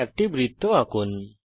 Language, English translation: Bengali, Lets draw a circle